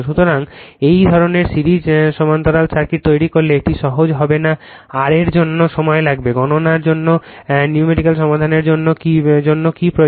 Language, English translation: Bengali, So, if you make this kind of series parallel circuit it will be not easy it will take time for your what you call for solving numerical for computation